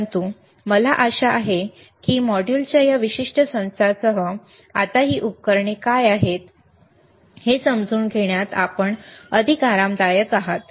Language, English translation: Marathi, But, but I hope that with this particular set of modules, you are now able to or you are more comfortable in understanding what are these equipment’s are